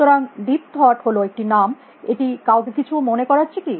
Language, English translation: Bengali, So, deep thought is a name, which does it ring the bell for anyone